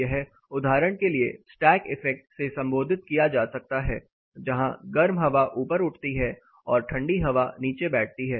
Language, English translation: Hindi, This for example can be referred to the stack effect where the hot air raises up on the cold air settles down